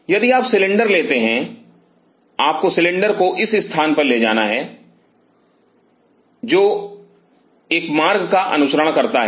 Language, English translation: Hindi, If you take the cylinder you have to take the cylinder to this is what follow one track